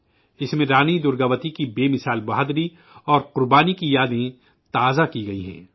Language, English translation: Urdu, In that, memories of the indomitable courage and sacrifice of Rani Durgavati have been rekindled